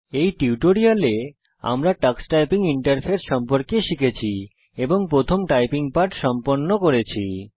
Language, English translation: Bengali, In this tutorial we learnt about the Tux Typing interface and completed our first typing lesson